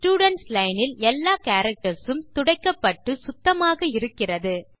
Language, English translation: Tamil, The Students Line is cleared of all characters and is blank